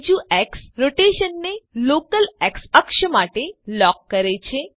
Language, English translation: Gujarati, The second X locks the rotation to the local X axis